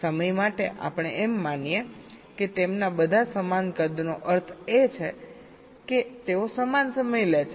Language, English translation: Gujarati, lets assume their all of equal size, means they take equal times